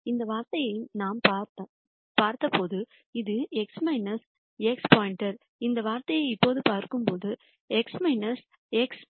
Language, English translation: Tamil, When we looked at this term this was x minus x star, when we look at this term now it is x minus x star whole squared